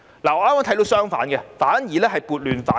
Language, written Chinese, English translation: Cantonese, 我看到的剛好相反，是撥亂反正。, What I see is just the opposite . It is a move to set things right